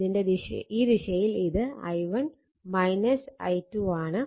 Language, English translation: Malayalam, So, i1 minus i 2 right